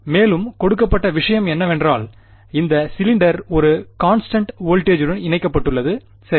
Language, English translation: Tamil, And further what was given was that this cylinder was connected to a constant voltage right